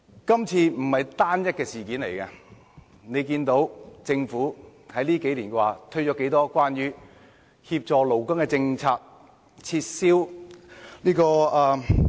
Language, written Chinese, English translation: Cantonese, 今次不是單一的事件，看看政府近數年推行了多少協助勞工的政策？, This proposal now is not an isolated incident . Just look at how many policies the Government has rolled out to help workers in recent years